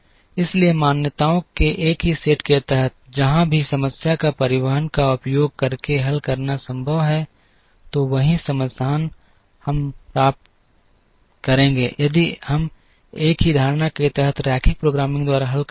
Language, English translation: Hindi, So, under the same set of assumptions, wherever if the problem it is possible to solve using transportation, then the same solution we will obtain, if we solve by linear programming under the same assumptions